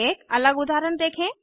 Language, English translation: Hindi, Lets us see an another example